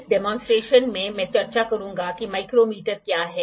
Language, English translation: Hindi, In this demonstration I will discuss what is micrometer